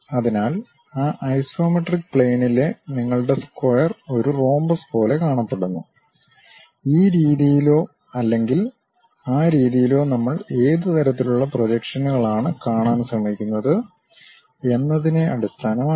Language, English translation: Malayalam, So, your square on that isometric plane looks like a rhombus, either this way or that way based on which kind of projections we are trying to look at